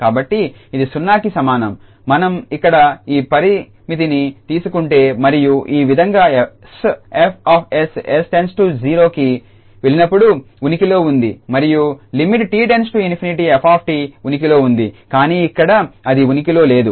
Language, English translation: Telugu, So, this is equal to 0, if we take this limit here and in this way s F s exists as s goes to 0 and we may conclude that the limit f t t tends to infinity exists, but here it does not exists